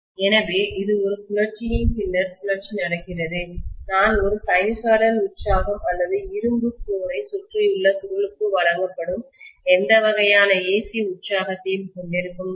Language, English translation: Tamil, So this is essentially happening cycle after cycle when I am having a sinusoidal excitation or any kind of AC excitation that is given to the coil which is wound around an iron core, right